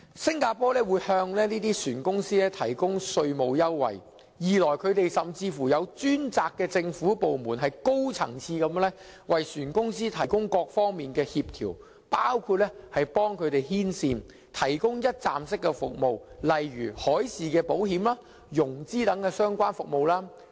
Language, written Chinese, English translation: Cantonese, 新加坡向船公司提供稅務優惠，甚至設有專責的政府部門高層次地為船公司提供各方面的協調，包括幫他們牽線，提供一站式服務，例如海事保險、融資等相關服務。, While providing taxation concessions to ship companies Singapore has even set up a dedicated government department to provide high - level coordination to ship companies in various aspects . One example is coordinating the provision of one - stop services to ship companies including associated services such as maritime insurance and financing